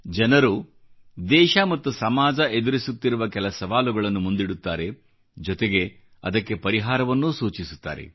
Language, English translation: Kannada, People bring to the fore challenges facing the country and society; they also come out with solutions for the same